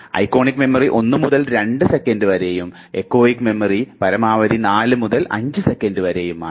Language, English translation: Malayalam, Iconic memory, in terms of duration it just 1 to 2 seconds, whereas echoic memory in terms of duration it is 4 to 5 seconds